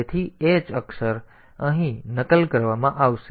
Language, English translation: Gujarati, So, the h character will be copied here